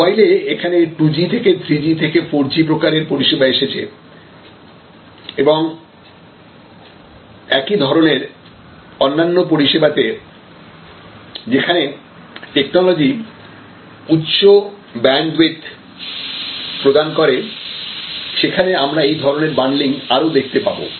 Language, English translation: Bengali, And as we go from 2G to 3G to 4G types of mobile telephony services and the equivalence in many other type of services, where technology allows you to provide a much higher bandwidth of service, we will see a more and more bundling happening